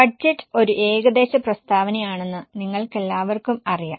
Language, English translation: Malayalam, First of all, you all know that budget is an estimated statement